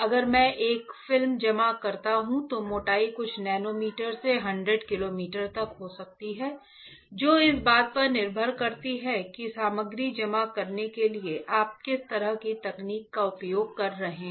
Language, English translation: Hindi, If I deposit a film the thickness can be from few nanometer to 100 micrometers depending on what kind of technology you are using to deposit the material